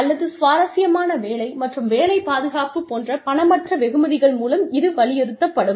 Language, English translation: Tamil, Or, will it stress, non monetary rewards, such as interesting work, and job security